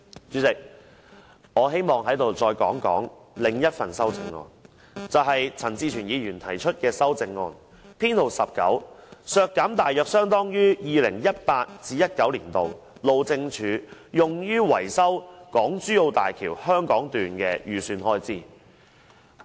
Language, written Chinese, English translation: Cantonese, 主席，我希望說說另一項由陳志全議員提出的修正案，編號 19，" 削減大約相當於 2018-2019 年度路政署用於維修港珠澳大橋香港段的預算開支"。, Chairman I wish to talk about another amendment proposed by Hon CHAN Chi - chuen Amendment No . 19 . To reduce the financial provisions for the Highways Department approximately equivalent to the estimated expenditure for maintenance works of the Hong Kong section of the HZMB in year 2018 - 2019